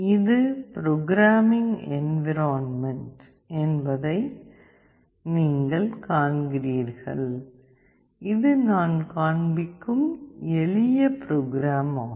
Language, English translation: Tamil, You see this is the environment; this is the simple program that I am showing